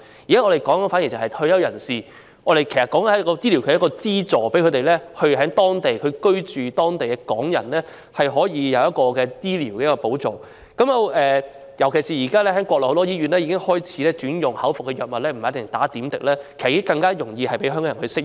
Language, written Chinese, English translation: Cantonese, 現在我們討論的是對退休人士的醫療資助，讓在內地居住的港人可獲得醫療保障，尤其是現時國內很多醫院已開始轉用口服藥物，不一定要打點滴，讓香港人更容易適應。, What we are discussing now is providing retirees with health care subsidies so that Hong Kong people living on the Mainland can receive health care protection particularly since many hospitals on the Mainland have currently switched to oral medication and may not necessarily administer intravenous infusion making it easier for Hong Kong people to adapt